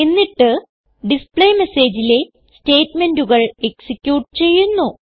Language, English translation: Malayalam, And all the statements in the displayMessage are executed